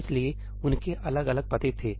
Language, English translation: Hindi, So, they had different addresses